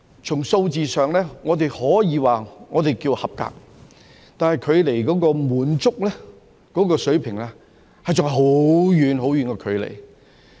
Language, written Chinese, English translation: Cantonese, 從數字上，我們可說是合格，但是距離滿足水平，還有很遠很遠的距離。, In terms of numbers we can say that it is acceptable but it is still far from satisfactory